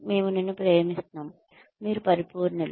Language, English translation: Telugu, We love you, you are perfect